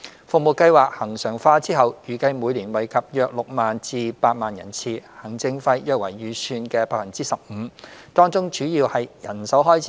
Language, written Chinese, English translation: Cantonese, 服務計劃恆常化後，預計每年惠及約6萬至8萬人次，行政費約為預算的 15%， 當中主要為人手開支。, Upon regularization the service is expected to benefit about 60 000 to 80 000 service users each year . About 15 % of the provision is for administrative expenses the main component of which is manpower cost